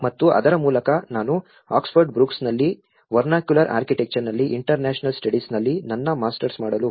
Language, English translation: Kannada, And through that, I went to master to do my Masters in Oxford Brookes on International Studies in Vernacular Architecture